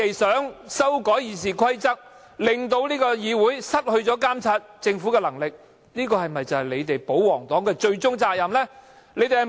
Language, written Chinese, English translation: Cantonese, 修改《議事規則》令議會失去監察政府的能力，難道就是保皇黨的終極責任？, Is it the ultimate mission for the pro - Government Members to strip this Council of its power to monitor the Government through the amendment of RoP?